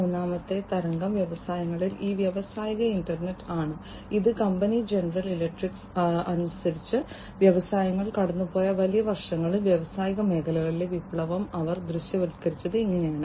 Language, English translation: Malayalam, And the third wave, in the industries is this industrial internet and this is as per the company general electric, this is how they have visualized the revolution in the industrial sector over the last large number of years that industries have passed through